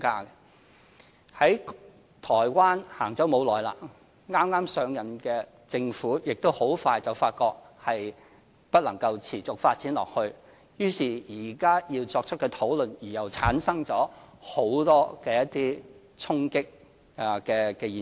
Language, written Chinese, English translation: Cantonese, 有關制度在台灣實行不久，剛剛上任的政府亦很快發覺不能持續發展下去，於是現在要作出討論而又產生了很多衝擊的現象。, A similar system has been carried out in Taiwan not very long time ago yet the new Government soon discovered that it is not sustainable therefore it initiated another round of discussion which again caused many conflicts